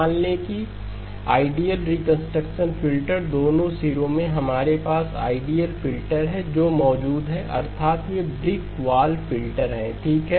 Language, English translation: Hindi, Assume that ideal reconstruction filter, the both ends we have ideal filters that are present that means they are brick wall filters okay